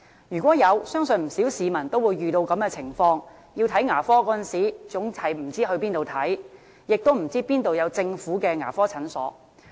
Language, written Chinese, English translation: Cantonese, 如果有，相信不少市民都會遇到這種情況：在有需要看牙科時，總是不知道往哪裏求診，亦不知道哪裏有政府牙科診所。, Has it really done so? . I believe many members of the public have encountered the following situation when they need dental services they never know where to seek consultation . Neither do they know where there are government dental clinics